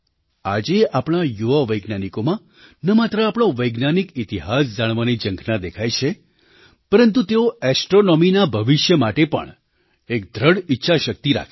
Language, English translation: Gujarati, Today, our young scientists not only display a great desire to know their scientific history, but also are resolute in fashioning astronomy's future